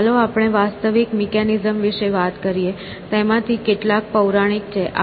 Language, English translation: Gujarati, So, let us talk about real mechanisms, or some of them are mythical of course